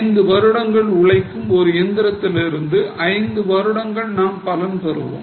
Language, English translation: Tamil, If a machinery has a life of five years, we will get the benefit for five years